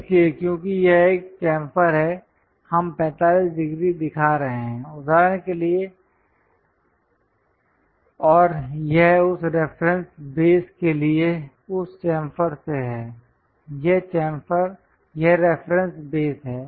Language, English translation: Hindi, So, because it is a chamfer, we are showing 45 degrees for example, and that is from that chamfer to this reference base, this is the reference base